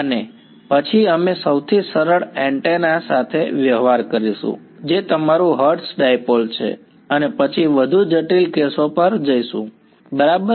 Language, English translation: Gujarati, And then we will deal with the simplest antenna which is your hertz dipole and then go to more complicated cases right